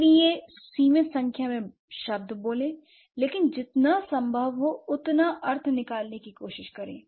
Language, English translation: Hindi, So, speak limited number of words but try to mean as much as possible